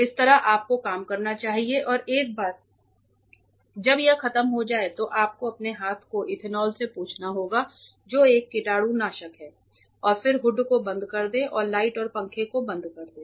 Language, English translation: Hindi, This is the way you should work and once it is over you have to wipe your hands with ethanol that is a disinfectant and then close the hood and switch off the light and fan